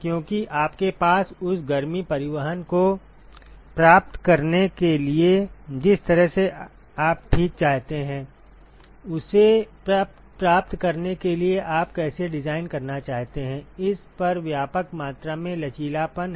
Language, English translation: Hindi, Because you have extensive amount of flexibility on how you want to design in order to achieve the heat transport that you want ok